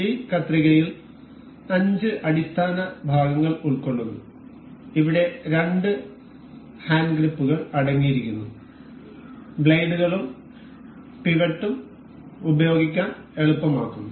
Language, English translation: Malayalam, This scissor consists of five fundamental parts that we can see here consists of two hand grips, the blades and the pivot that makes it easier to use